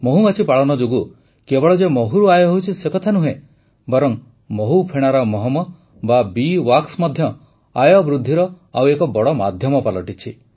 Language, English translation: Odia, Friends, Honey Bee Farming do not lead to income solely from honey, but bee wax is also a very big source of income